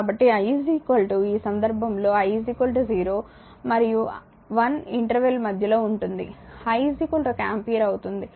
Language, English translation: Telugu, So, i is equal to in this case i is equal to in between the interval 0 and 1, i is equal to one ampere